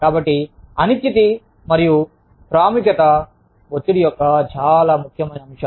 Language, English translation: Telugu, So, uncertainty, and importance, are very important elements of stress